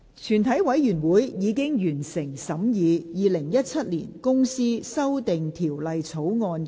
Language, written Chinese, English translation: Cantonese, 全體委員會已完成審議《2017年公司條例草案》的所有程序。, All the proceedings on the Companies Amendment Bill 2017 have been concluded in committee of the whole Council